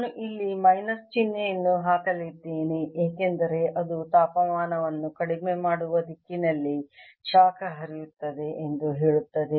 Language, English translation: Kannada, i am going to put a minus sign here because that tells you that flows in the direction of lowering temperature